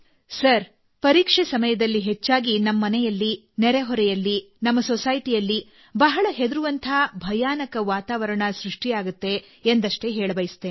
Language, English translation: Kannada, "Sir, I want to tell you that during exam time, very often in our homes, in the neighbourhood and in our society, a very terrifying and scary atmosphere pervades